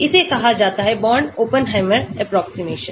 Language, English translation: Hindi, that is called the Born Oppenheimer approximation